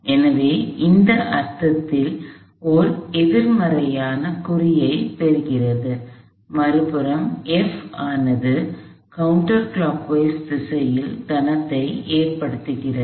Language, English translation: Tamil, So, in the sense that takes on a negative sign, F on the other hand causes a counter clockwise moment